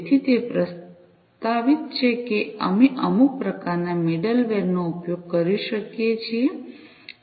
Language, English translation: Gujarati, So, it is proposed that we could use some sort of a middleware